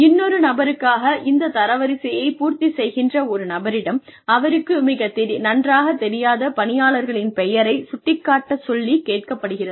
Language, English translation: Tamil, So, the person, who is filling up this ranking for another person, is asked to cross out the names of any employee, who this person does not know very well